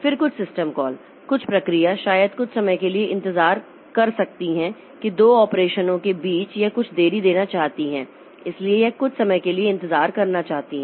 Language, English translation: Hindi, Then some system call some process may like to wait for some time that between two operations it wants to introduce some delay